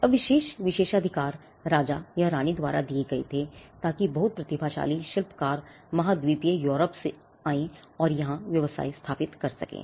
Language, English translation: Hindi, Now, exclusive privileges were granted by the king or the queen to enable craftsman very talented craftsman to come from continental Europe and to setup the businesses here